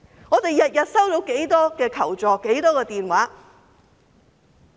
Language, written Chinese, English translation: Cantonese, 我們每天收到多少個求助電話？, How many phone calls asking for help do we receive every day?